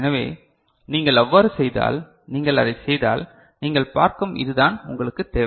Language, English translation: Tamil, So, if you do that; if you do that ok, then what you can see this is what you require